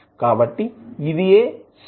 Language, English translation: Telugu, So, this is this the switch